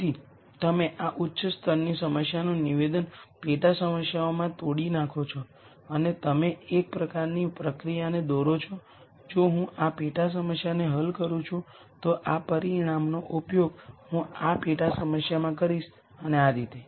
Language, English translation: Gujarati, So, you break down this high level problem statement into sub problems and you kind of draw a ow process saying if I solve this sub problem then this result I am going to use in this sub problem and so on